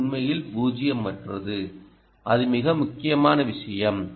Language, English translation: Tamil, right, this is indeed ah, nonzero, and that is very important thing